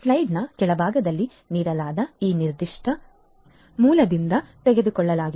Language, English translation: Kannada, This has been taken from this particular source that is given at the bottom of the slide